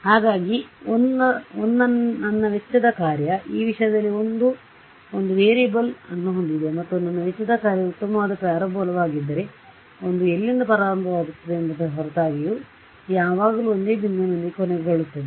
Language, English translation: Kannada, Multiple right; so, if I if my cost function let us say I have a variable in one this thing and if my cost function was a nice parabola, regardless of where I start I always end up with the same point